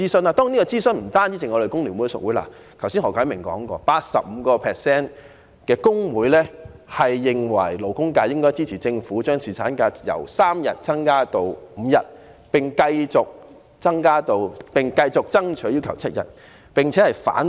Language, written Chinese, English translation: Cantonese, 當然，我們有諮詢工聯會屬會，正如何啟明議員剛才提到，有 85% 的工會認為勞工界應該接納政府把侍產假由3天增至5天的建議，並繼續爭取7天侍產假。, We have certainly consulted our member unions . As pointed out by Mr HO Kai - ming earlier 85 % of the trade unions considered that the labour sector should accept the Governments proposal of increasing paternity leave from three days to five days and continue to fight for seven days leave